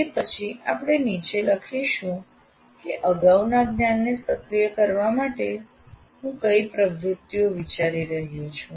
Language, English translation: Gujarati, Then we write below what are the activities that I am planning for activation of the prior knowledge